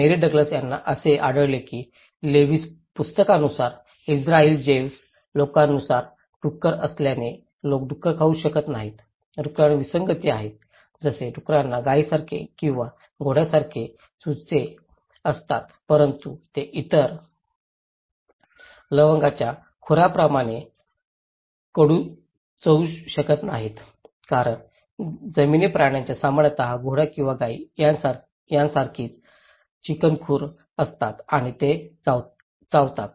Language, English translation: Marathi, Mary Douglas found that according to the Leviticus, according to the Jews Israeli, people cannot eat pigs because pig is; pigs are anomalies, like pigs have cloven hooves like cow or horse but they do not chew the cud like other cloven hooves as land animals generally do like horse or cow they have cloven hooves and they do chew cud